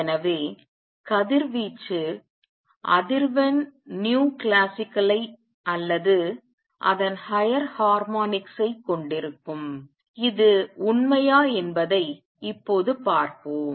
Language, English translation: Tamil, So, the radiation will have frequency nu classical or its higher harmonics; let us now see that this is true